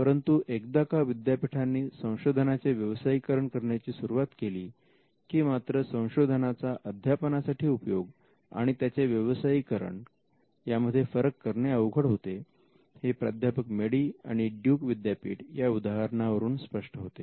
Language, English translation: Marathi, But once university start commercializing the products of their research; it may be hard to draw a line between research used and commercialization as it happened in Madey versus Duke University